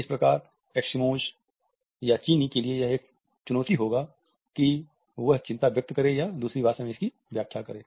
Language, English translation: Hindi, Thus, would be a challenge for Eskimos or the Chinese to express anxiety or interpret it in other